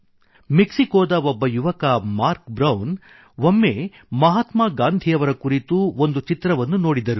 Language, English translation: Kannada, In fact a young person of Oaxaca, Mark Brown once watched a movie on Mahatma Gandhi